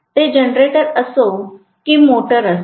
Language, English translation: Marathi, That is what happens whether it is a generator or motor